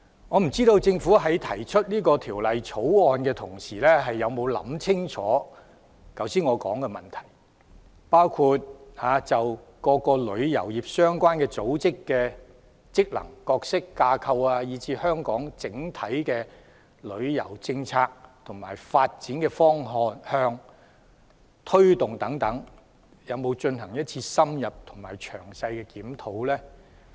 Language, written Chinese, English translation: Cantonese, 我不知道政府提出《條例草案》的時候，有否想清楚我剛才說的問題，包括就各個旅遊業相關組織的職能、角色、架構，以至香港整體的旅遊政策的發展方向和推動等，有否進行一次深入而詳細的檢討？, I am not sure whether the Government had given clear thought to my earlier questions before introducing the Bill . Had it conducted an in - depth and detailed review of the functions roles and structures of all travel - related bodies the development direction and promotion of Hong Kongs overall travel policy and so on?